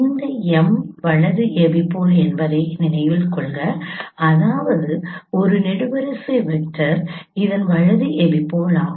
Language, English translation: Tamil, That means this is this column vector is the right epipule of this